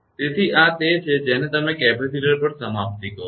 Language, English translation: Gujarati, So, this is your what you call the termination at capacitor